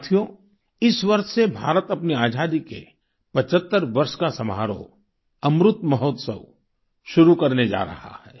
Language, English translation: Hindi, this year, India is going to commence the celebration of 75 years of her Independence Amrit Mahotsav